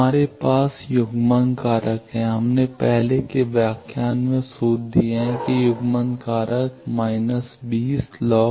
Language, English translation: Hindi, We have coupling factor, we have given the formulas in the earlier lecture that coupling factor is minus 20 log S 13